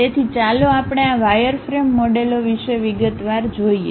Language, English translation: Gujarati, So, let us look in detail about this wireframe models